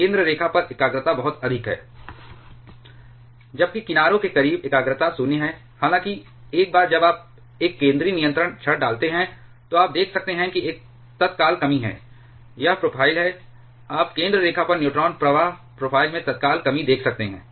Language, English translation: Hindi, So, at the center line the concentration is very high whereas, close to the edges the concentration is 0; however, once you have inserted one central control rod, then you can see there is an immediate reduction, this is the profile, you can see immediate reduction in the neutron flux profile at the center line